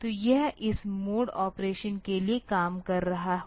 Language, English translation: Hindi, So, that it will be operating for the, this mode operation